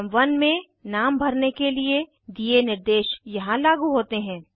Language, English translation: Hindi, Instructions in item 1 with respect to name, apply here